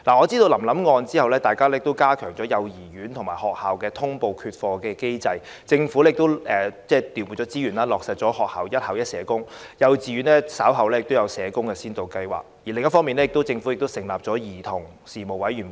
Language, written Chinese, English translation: Cantonese, 在臨臨案件之後，我知道加強了幼兒園及學校的通報缺課機制，政府亦調撥資源，在學校落實了"一校一社工"，稍後亦會推行幼稚園社工服務先導計劃，另一方面，政府亦成立了兒童事務委員會。, As I have learned in the wake of the case of Lam - lam CHAN Sui - lam the reporting mechanism for absentees in kindergartens and schools was enhanced . The Government has also allocated more resources to implement the policy of one school social worker for each school in primary schools and will later introduce the Pilot Scheme on Social Work Service for Kindergartens . On the other hand the Government has also set up the Commission on Children